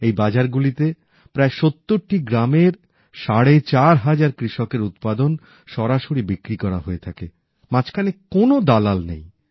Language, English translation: Bengali, In these markets, the produce of about four and a half thousand farmers, of nearly 70 villages, is sold directly without any middleman